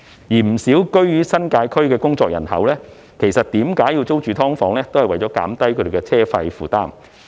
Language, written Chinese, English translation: Cantonese, 不少居於新界區的工作人口選擇租住"劏房"的原因，就是為了減低車費負擔。, Many members of the working population in the New Territories have chosen to rent SDUs in order to alleviate the burden of travelling expenses